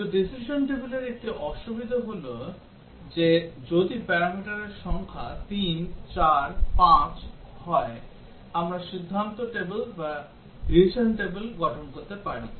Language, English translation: Bengali, But one difficulty with the decision tables is that if the number of parameters are 3, 4, 5, we can form the decision table